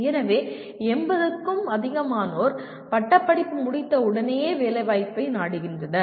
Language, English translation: Tamil, So, dominantly more than 80% are seeking placement immediately after graduation